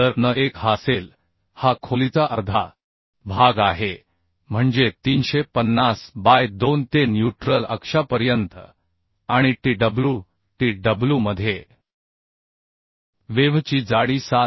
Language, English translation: Marathi, So n1 will be this: this is the half of the depth, that means 350 by 2 up to neutral axis right and into tw, tw